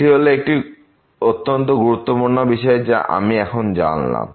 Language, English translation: Bengali, So, this is another important remark which I have mentioned before